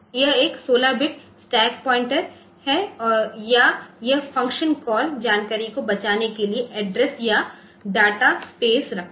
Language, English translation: Hindi, So, it is a 16 bit stack point or it holds address or in the data space of area to save function call information